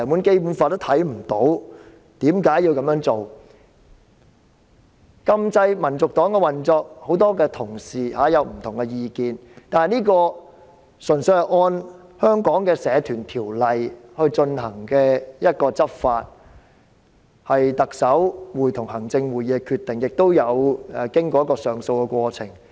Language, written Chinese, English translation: Cantonese, 很多同事對於禁止香港民族黨的運作有不同意見，但是，這純粹是按照香港的《社團條例》來執法，是特首會同行政會議的決定，亦有經過上訴的過程。, Many colleagues hold different opinions with regard to prohibiting the operation of the Hong Kong National Party but this is purely an enforcement of the Societies Ordinance of Hong Kong a decision made by the Chief Executive in Council and has undergone an appeal process